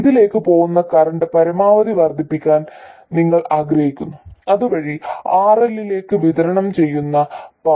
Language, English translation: Malayalam, You want to maximize the current that goes into this, consequently the power that is delivered to RL